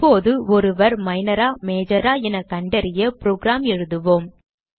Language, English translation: Tamil, we will now write a program to identify whether the person is Minor or Major